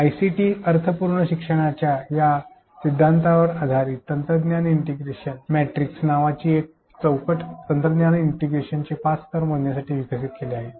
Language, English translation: Marathi, Based on this theory of meaningful learning with ICT a framework named technology integration matrix has been developed to measure the 5 levels of technology integration